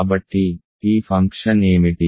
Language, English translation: Telugu, So, what is this function